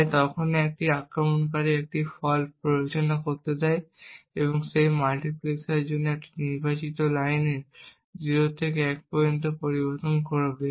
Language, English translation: Bengali, So whenever an attacker wants to induce a fault he would change the value of this select line for this multiplexer from 0 to 1 and thereby inducing a fault